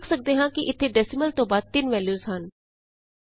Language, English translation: Punjabi, We see here three values after the decimal point